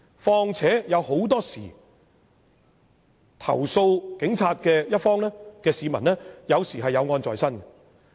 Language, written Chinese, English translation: Cantonese, 況且，投訴警務人員的市民很多時均有案在身。, Furthermore complainants against the Police are usually persons who are involved in a court case